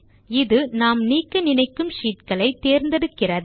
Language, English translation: Tamil, This selects the sheets we want to delete